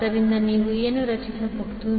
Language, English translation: Kannada, So what you can create